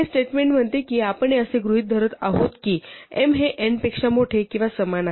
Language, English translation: Marathi, So, this statement says that we are assuming that m is bigger than or equal to n